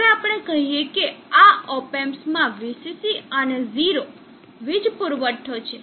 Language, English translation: Gujarati, Now let us say this op amp is having a VCC and 0 as the power supply